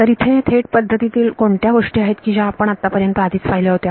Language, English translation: Marathi, So, what are direct methods things which you have already seen so far